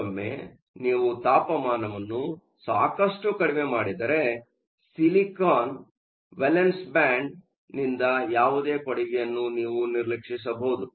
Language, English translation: Kannada, Once again your temperature is low enough that you can ignore any contribution from the valence band of silicon